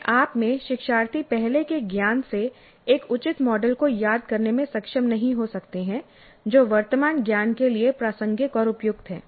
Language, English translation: Hindi, By themselves, learners may not be able to recollect a proper model, proper model from the earlier knowledge which is relevant and appropriate for the current knowledge